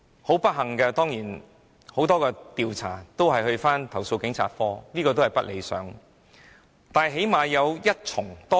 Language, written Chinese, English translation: Cantonese, 很不幸，很多調查個案會交回投訴警察課處理，這是不理想的。, Unfortunately many investigation cases will be returned to the Complaints Against Police Office for handling which is not satisfactory